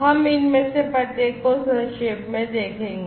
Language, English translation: Hindi, We will look at each of these very briefly